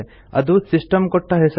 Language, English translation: Kannada, That is the system generated name